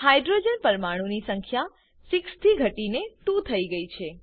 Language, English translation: Gujarati, Number of hydrogen atoms reduced from 6 to 2